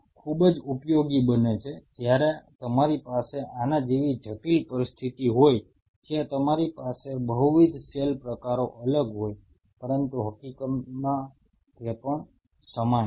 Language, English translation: Gujarati, And this comes very handy when you have a complex situation like this where you have multiple cell types to be separated out, but the fact is still the same